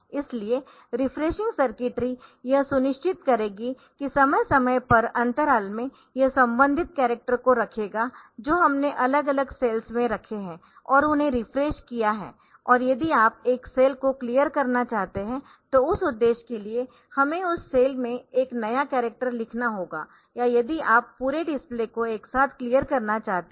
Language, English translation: Hindi, So, the refreshing circuitry will ensure that the periodic intervals that it will put the corresponding characters that we have put at different cells and refreshed them and if you want to clear a cell then for that purpose so we have to write a new character on that cell or if you want to clear the display all together